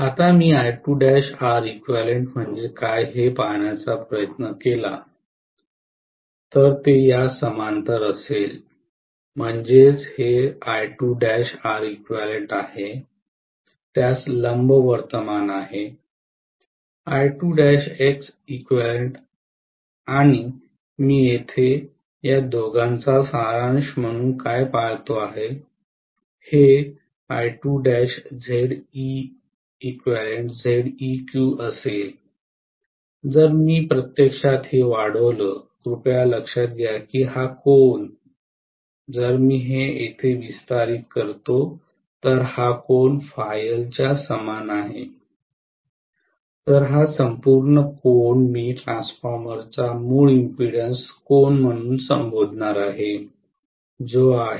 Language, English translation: Marathi, Now if I try to look at what is I2 dash multiplied by R equivalent it will be in parallel with this, so this is I2 dash multiplied by R equivalent, perpendicular to that will be I2 dash multiplied by X equivalent and what I look at here as the summation of these two, this will be I2 dash Z equivalent, if I actually extend this, please note that this angle, if I extend this here, this angle is same as phi L, whereas this entire angle I am going to call as the inherent impedance angle of the transformer which is phi equivalent